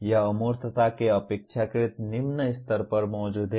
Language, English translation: Hindi, It exists at relatively low level of abstraction